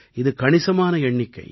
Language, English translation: Tamil, This is a very big number